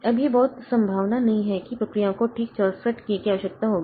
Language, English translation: Hindi, Now, it is very much unlikely that the processes will require exactly 64k